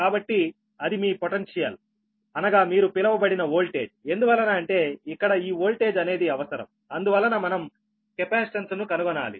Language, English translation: Telugu, so that is the, that is your potential, or what you call that, your voltage, because this voltage is necessary because we have to find out the capacitance, right